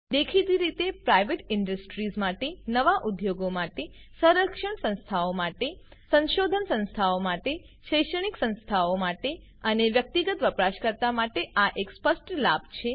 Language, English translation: Gujarati, This is obvious advantage for Private Industries, Entrepreneurs, Defence Establishments, Research Organisations, Academic Institutions and the Individual User